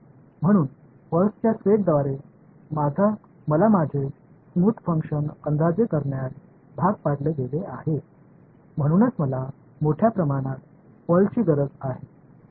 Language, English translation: Marathi, So, I was forced to approximate my smooth function by set of pulses that is why I need large number of pulses right